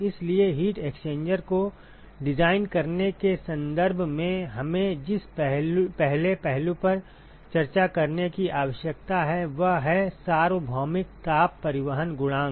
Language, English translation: Hindi, So, what we need the first aspect we need to discuss in terms of designing heat exchanger is the ‘universal heat transport coefficient’